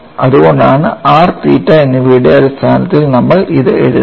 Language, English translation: Malayalam, So, that is the reason why we are writing it in terms of r n theta